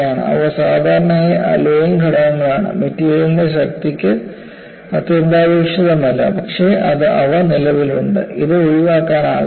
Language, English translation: Malayalam, They are usually alloying elements, not essential to the strength of the material, but they are present, it is unavoidable